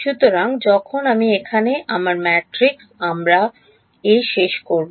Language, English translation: Bengali, So, when I have my matrix my A over here